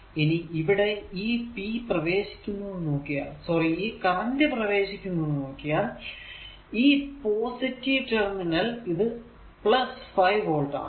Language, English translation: Malayalam, If you look into that here power entering into the sorry current entering into the positive terminal this is plus right and this is the 5 volt